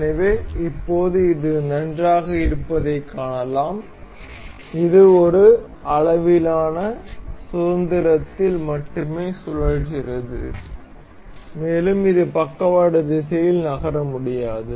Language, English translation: Tamil, So, now we can see this is nice and good, rotating only in one degree of freedom, and it cannot move in lateral direction